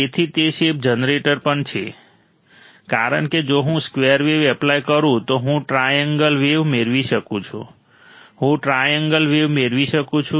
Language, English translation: Gujarati, So, it is a shape generator also, because if I apply a square wave I can obtain a triangle wave, I can obtain a triangle wave